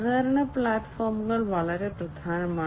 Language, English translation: Malayalam, Collaboration platforms are very important